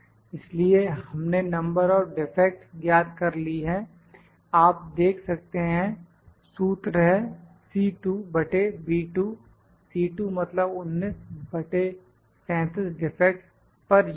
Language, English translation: Hindi, So, we have calculated the number of defects, number of defects is you can see the formula it is C 2 by B 2; C 2 means 19 by 37 to defects per unit